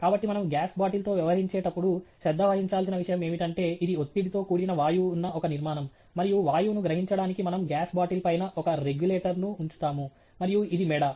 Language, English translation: Telugu, So, the point that we need to pay attention to, when we are dealing with the gas bottle, is that this is a structure inside which there is pressurized gas, and to access the gas, we do put a regulator on top of the gas bottle and this is the neck, so to speak